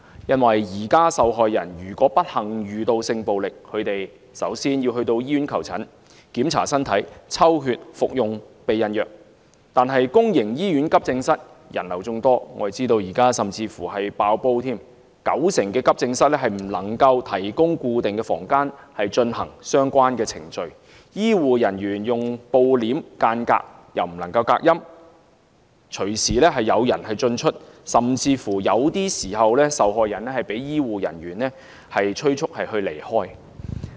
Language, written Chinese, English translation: Cantonese, 現時受害人如不幸遇到性暴力，她們首先要到醫院求診，檢查身體、抽血、服用避孕藥，但公營醫院急症室人流眾多，我們知道現時甚至已經"爆煲"，九成急症室不能提供固定房間進行相關程序，醫護人員只是用布簾間隔，又不能隔音，隨時有人進出，甚至有些時候，受害人會被醫護人員催促離開。, At present the first thing a sexually abused victim should do is to seek medical attention in a hospital to go through body check to get the blood test and to receive post - contraception treatment . However the Accident and Emergency Department AED of all public hospitals are so crowded that they are in fact overcrowded . Ninety per cent of all AEDs cannot spare a designated room for the relevant procedures